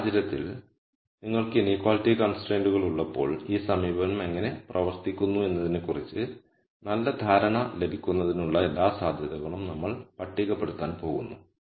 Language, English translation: Malayalam, So, what I am going to do in this case is we are going to enumerate all possibilities for you to get a good understanding of how this approach works when you have inequality constraints